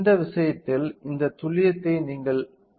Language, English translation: Tamil, What do you mean by this accuracy in this case